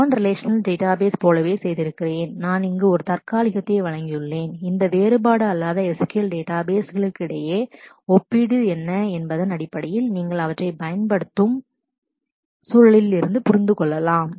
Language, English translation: Tamil, I have also done similar to the relational database, I have presented here a tentative comparative study between these different non no SQL databases in terms of what is the context in which you use them